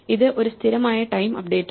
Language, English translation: Malayalam, It is a constant time update